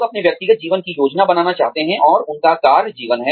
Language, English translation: Hindi, People want to plan their personal lives, and their work lives